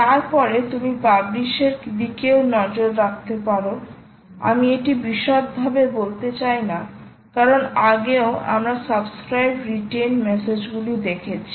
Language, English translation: Bengali, then you may also want to look at publish i dont want to elaborate this, we have done this earlier subscribe, retain message